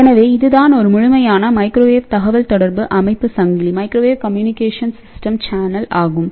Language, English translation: Tamil, So, this is what a complete microwave communication system chain is there